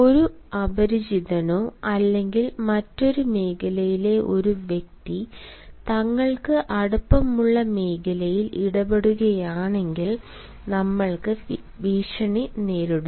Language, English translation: Malayalam, if a stranger or, for that matter, a person of a different zone interferes with our intimate zone, we feel threatened